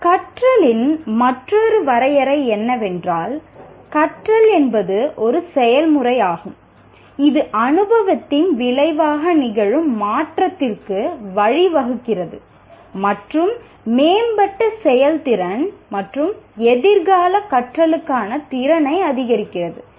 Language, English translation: Tamil, Another definition of learning is learning is a process that leads to change which occurs as a result of experience and increases the potential for improved performance and future learning